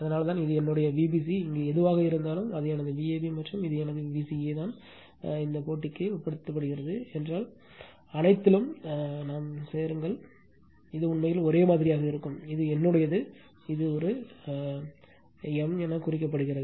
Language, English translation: Tamil, That is why this is my V bc whatever is here that is my V ab and this is my V ca just you make competitive this triangle and if, you join all it will be same actually this is my same some your something is marked this as a m right